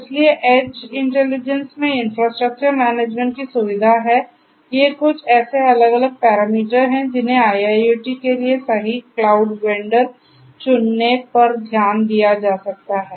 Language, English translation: Hindi, So, edge intelligence features infrastructure management these are some these different parameters that can be taken into consideration for choosing the right cloud vendor for IIoT